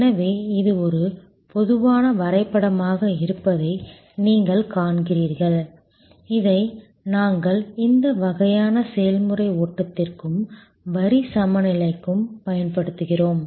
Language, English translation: Tamil, So, you see this is a typical diagram, which we use for this kind of process flow and for line balancing